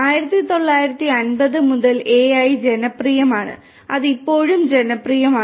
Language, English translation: Malayalam, AI has been popular since 1950’s, it is still popular